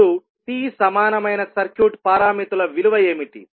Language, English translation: Telugu, Now, what would be the value of T equivalent circuit parameters